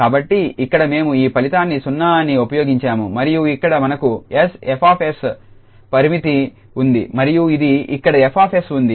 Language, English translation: Telugu, So, here that result we have used that this is 0 and then we have the limit here s F s and this is F s here